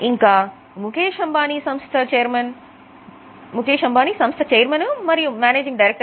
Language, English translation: Telugu, And Mukesh Ambani is chairman and managing director